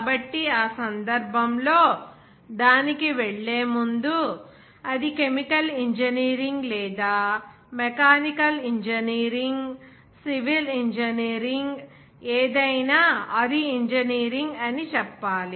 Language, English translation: Telugu, So, in that case, before going to that, we have to say that this engineering, whether it is chemical engineering or mechanical engineering, civil engineering